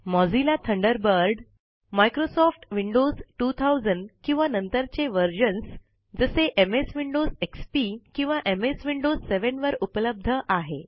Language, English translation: Marathi, Mozilla Thunderbird is also available for Microsoft Windows 2000 or later versions such as MS Windows XP or MS Windows 7